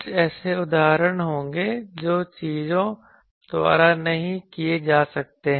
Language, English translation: Hindi, There will be some instances which cannot be done by the things